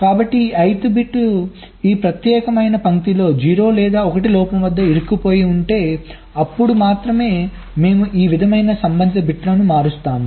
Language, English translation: Telugu, so if there is this ith bit corresponds to a stuck at zero or one fault on this particular line, then only we change the corresponding bits like this